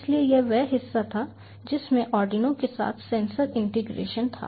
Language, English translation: Hindi, so that was the part covering sensor integration with arduino